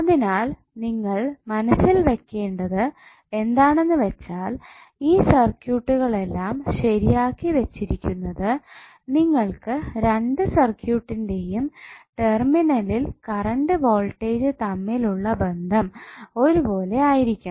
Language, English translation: Malayalam, So you have to keep in mind that these circuits are set to be equivalent only when you have voltage current relationship same for both of the circuit at the terminal